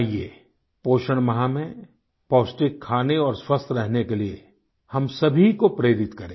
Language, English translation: Hindi, Come, let us inspire one and all to eat nutritious food and stay healthy during the nutrition month